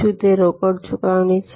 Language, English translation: Gujarati, Is it cash payment